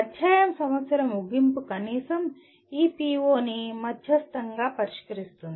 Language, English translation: Telugu, The end of the chapter problems will at least moderately address this PO